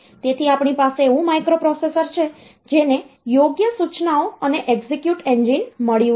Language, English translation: Gujarati, So, we have got microprocessor getting correct instructions and execute engine